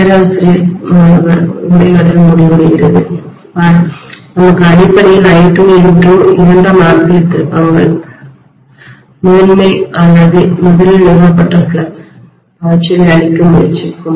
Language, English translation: Tamil, “Professor student conversation ends” See, we have got basically I2 N2 is the secondary ampere turns which were trying to kill the primary or originally established flux